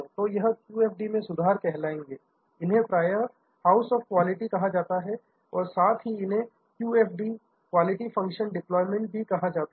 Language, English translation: Hindi, So, these are additions to QFD, this is also often called is house of qualities also often called QFD, Quality Function Deployment